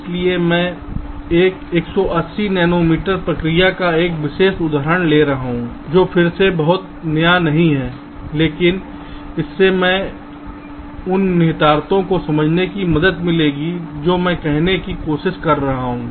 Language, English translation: Hindi, so i am taking a means, a particular example of a one eighty nanometer process, which is again not very new, but this will help us in understanding the implications, what i am trying to say